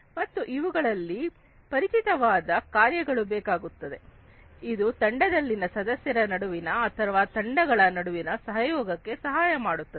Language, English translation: Kannada, And they require some familiar function, which help in the collaboration between the team members or across different teams